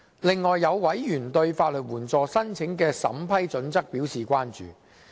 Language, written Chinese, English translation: Cantonese, 再者，有委員對法律援助申請的審批準則表示關注。, Furthermore some Members are concerned about the vetting and approval criteria of legal aid applications